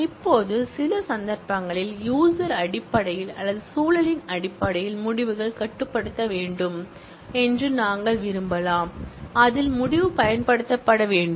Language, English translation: Tamil, Now, in some cases, we may want the results to be restrictive in terms of based on the user or based on the context, in which the result should be used